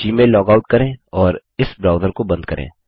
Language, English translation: Hindi, Lets log out of Gmail and close this browser